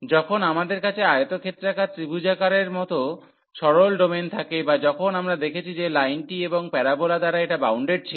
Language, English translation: Bengali, So, this when we have the simple domain like the rectangular triangular or when we have seen with which was bounded by the line and the parabola